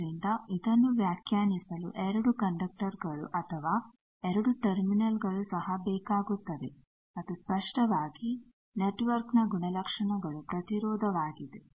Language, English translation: Kannada, So, it also requires 2 conductors or 2 terminals to get it defined and obviously, the characteristics of the network is the impedance